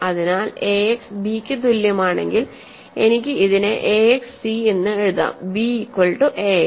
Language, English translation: Malayalam, So, if ax equal to b, I can replace this as ax c, b is equal to ax